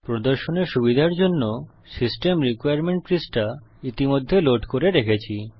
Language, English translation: Bengali, For ease of demonstration, I have already loaded the System Requirements page